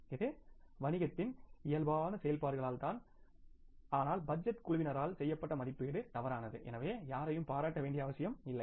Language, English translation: Tamil, It's just because of the normal operations of the business but the estimation which was done by the budgeting team was wrong